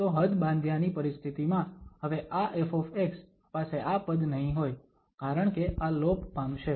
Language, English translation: Gujarati, So, in the limiting situation now, this f x will not have this term because this will vanish